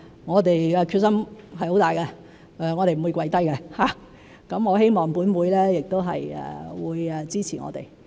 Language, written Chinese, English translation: Cantonese, 我們的決心很大，我們不會放棄，我希望本會亦會支持我們。, We are very determined and we will not give up . I hope this Council will support us as well